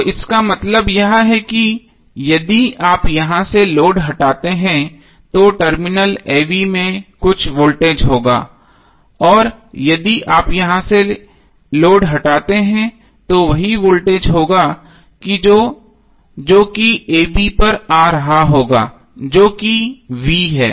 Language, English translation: Hindi, So that means that if you remove load from here there would be some voltage across Terminal a b and if you remove load from here there will be same voltage which would be coming across a b that is V